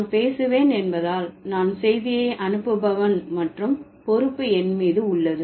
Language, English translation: Tamil, Like because since I am saying it, I am the sender of the message and the onus is on me